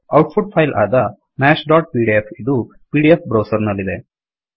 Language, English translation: Kannada, The output file Maths.pdf is in the pdf browser